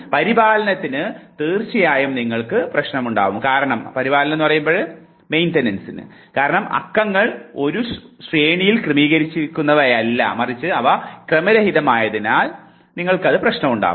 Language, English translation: Malayalam, Maintenance of course, you will have problem in because the numbers are not, what we call arranged in hierarchy rather they are more random based